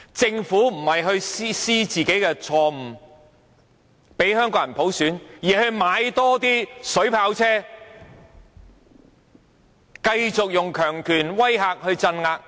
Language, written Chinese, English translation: Cantonese, 政府沒有反思自己的錯誤，讓香港人有普選，反而採購水炮車，繼續用強權威嚇和鎮壓。, The Government has not engaged in self - reflection and allowed Hong Kong people to have universal suffrage . Instead it has resorted to acquiring water cannon vehicles to facilitate its continuous authoritarian threat and suppression